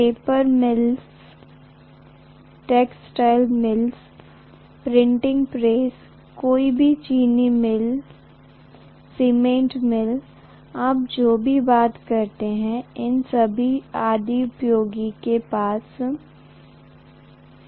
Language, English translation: Hindi, Paper mills, textile mills, printing presses, any, sugar mill, cement mill, anything you talk about everything is going to have, all those industries have motors